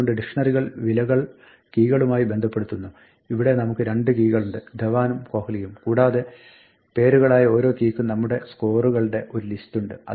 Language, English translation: Malayalam, So, dictionaries associate values with keys here we have two keys Dhawan and Kohli and with each key which is a name we have a list of scores